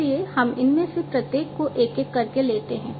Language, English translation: Hindi, So, let us take up one by one each of these